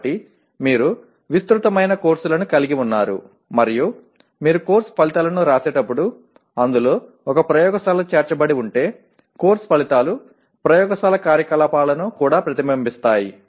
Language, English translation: Telugu, So you have a wide range of courses and when you write course outcomes it should, if there is a laboratory integrated into that the course outcomes should reflect the laboratory activity as well